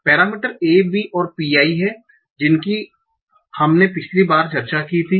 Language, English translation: Hindi, The parameters are A, B, and pi that we discussed last thing